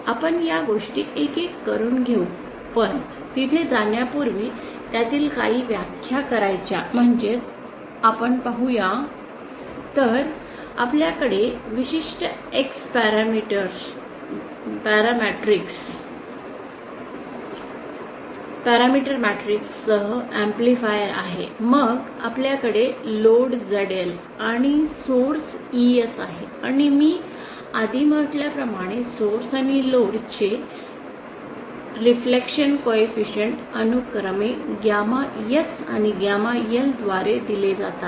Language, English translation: Marathi, So let us let us take up these things one by one but before going there we would like to define some of the, so let us let us see… So we have our amplifier with a certain X parameter matrix then we have a load ZL and a source ES and as I said earlier the reflection co efficient of the load and of the source and the load are given by gamma S and gamma L respectively